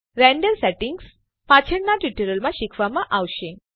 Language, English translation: Gujarati, Render settings shall be covered in a later tutorial